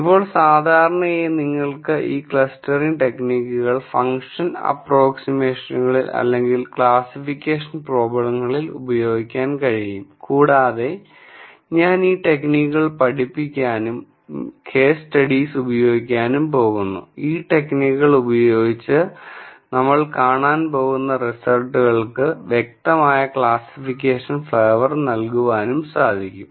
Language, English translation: Malayalam, Now, typically you can use these clustering techniques in function approximation or classification problems and I am going to teach these techniques and use case studies that give a distinct classification flavour to the results that we are going to see using these techniques